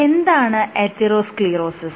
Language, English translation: Malayalam, What is atherosclerosis